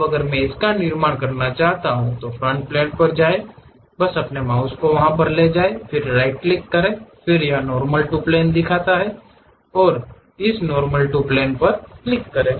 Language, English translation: Hindi, Now, if I would like to construct it, go to Front Plane just move your mouse then give a right click, then it shows Normal To plane, click that Normal To plane